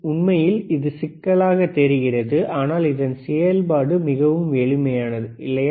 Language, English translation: Tamil, Actually, it just looks complicated, the operation is really simple, right